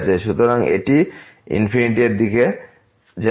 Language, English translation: Bengali, So, this will approach to infinity